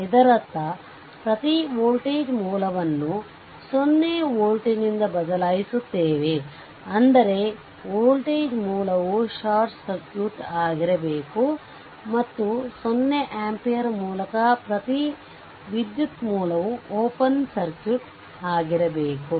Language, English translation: Kannada, This means we replace every voltage source by 0 volt; that means, your short circuit that voltage source should be short circuit, and every current source by 0 ampere that is it is an open circuit right